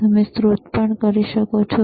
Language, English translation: Gujarati, yYou can also do the source,